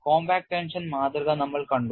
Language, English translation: Malayalam, We have seen a compact tension specimen